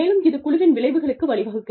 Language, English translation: Tamil, And, that leads to, team outcomes